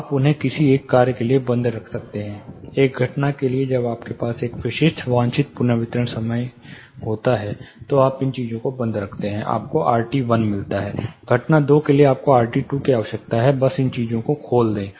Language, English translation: Hindi, You can keep them closed for one of the function say event one, when you have a specific desired reverberation time you keep these things closed, you get r t 1, for even two you need r t 2, just open up these things